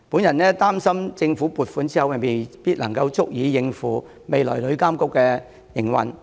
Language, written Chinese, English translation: Cantonese, 然而，我擔心政府撥款不足以應付旅監局未來的營運開支。, However I am concerned that the government funding is insufficient for covering TIAs future operational expenses